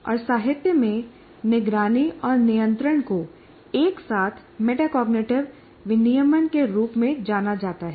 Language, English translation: Hindi, And in the literature, monitoring and control are together referred to as regulation, as metacognitive regulation